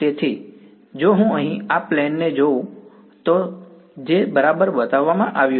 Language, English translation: Gujarati, So, if I look at this plane over here which is shown right